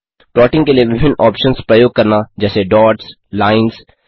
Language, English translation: Hindi, to use the various options available for plotting like dots,lines